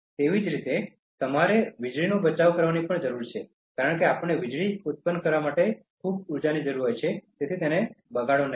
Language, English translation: Gujarati, In a similar manner, you need to conserve electricity, because we need so much of energy to produce electricity, so do not waste that